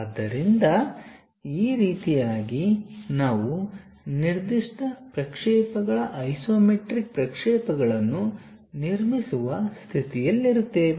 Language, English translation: Kannada, So, using this way we will be in a position to construct isometric views of given projections